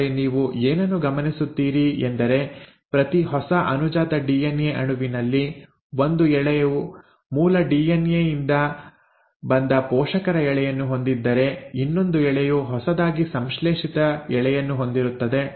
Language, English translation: Kannada, But what you notice is in each new daughter DNA molecule one strand is the parental strand which came from the original DNA while one strand is the newly synthesised strand